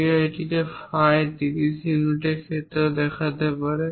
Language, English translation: Bengali, One can also show it in terms of phi 30 units this is another way